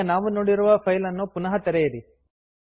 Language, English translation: Kannada, Now reopen the file you have seen